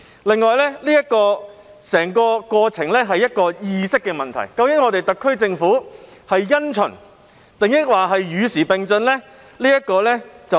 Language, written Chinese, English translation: Cantonese, 另外，整個過程涉及意識的問題，即究竟特區政府是因循，抑或是與時並進呢？, Moreover the whole thing concerns the question of attitude―whether the SAR Government inclines to stick to the old ways or to progress with the times